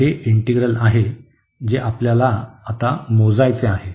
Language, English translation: Marathi, So, here this is the integral we want to compute now